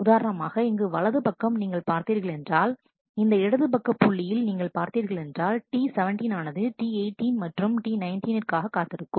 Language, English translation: Tamil, For example, here on the left as you see if you if I if I may point out in the left, if we see that T 17 is waiting for T 18 and T 19, T 18 is waiting for T 20